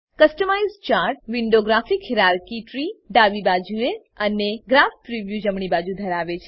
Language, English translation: Gujarati, Customize Chart window has, Graph hierarchy tree on the left and Graph preview on the right